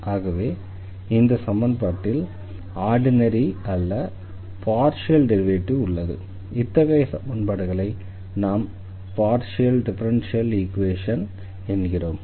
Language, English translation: Tamil, So, we have the ordinary derivatives here the second equation this is also the ordinary differential equation